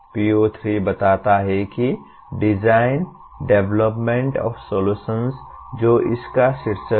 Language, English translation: Hindi, PO3 states that design, development of solutions that is the title of this